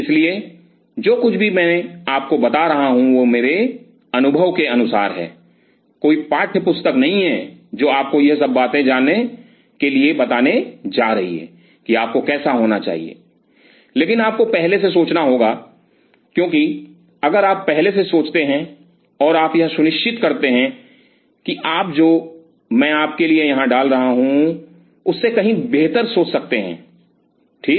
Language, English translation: Hindi, So, whatever I am telling you is from share from my experience there is no textbook which is going to tell you all these things that how you should, but you have to think in advance because if you think in advance and put you sure you can think far better than what I am putting out here for you ok